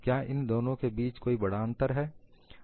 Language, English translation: Hindi, Is there very great difference between the two